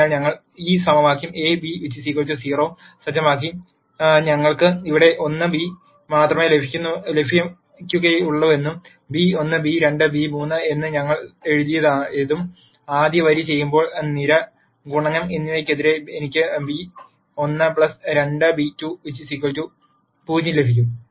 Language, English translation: Malayalam, So, we set up this equation A beta equal to 0 and we know we will get only 1 beta here and beta we have written as b 1 b 2 b 3 and when we do the rst row versus column multiplication I will get b 1 plus 2 b 2 equals 0